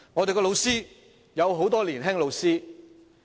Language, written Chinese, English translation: Cantonese, 教育界有很多年青教師。, There are many young teachers in the education sector